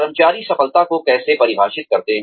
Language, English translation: Hindi, How do employees, define success